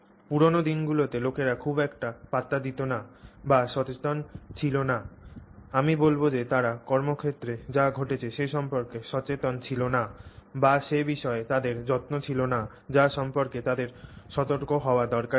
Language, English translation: Bengali, In olden days people didn't care much about or didn't, we're not aware, I won't say they didn't care, they were not aware of things that were happening in the workplace which they, that they needed to be alert to